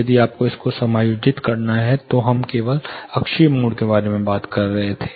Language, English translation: Hindi, If you have to adjust this, then you will have to say; for example, since here we were talking about only axial mode